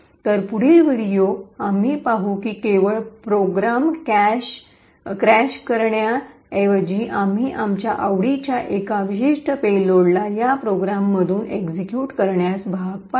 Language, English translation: Marathi, So, the next video we will see that instead of just crashing the program we will force one particular payload of our choice to execute from this program